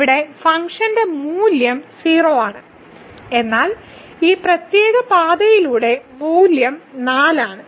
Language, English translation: Malayalam, So, here the function value is 0, but along this particular path we have seen the value is 4